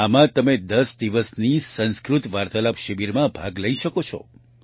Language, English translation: Gujarati, In this you can participate in a 10 day 'Sanskrit Conversation Camp'